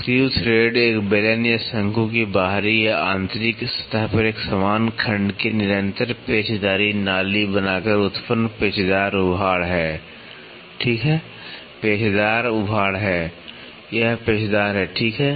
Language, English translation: Hindi, Screw thread is the helical ridge produced by forming a continuous helical groove of uniform section on the external or internal surface of a cylinder or a cone, ok, is the helical ridge, helical ridge this is helical, right